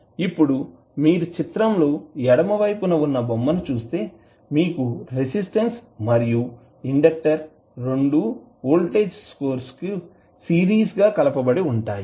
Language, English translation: Telugu, Now, if you see the figure on the left you have 1 r resistance and inductor both are in series with voltage source vf